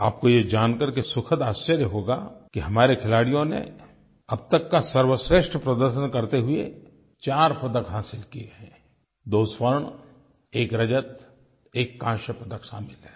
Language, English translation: Hindi, You will be pleasantly surprised to learn that our sportspersons put up their best ever performance this time and won 4 medals including two gold, one silver and one bronze